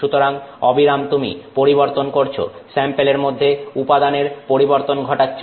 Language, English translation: Bengali, So, continuously you are changing the you are moving material in the sample